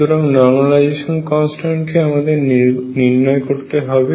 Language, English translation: Bengali, So, normalization constant is yet to be determined